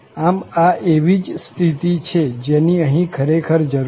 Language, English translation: Gujarati, So, it is the same situation what we have here indeed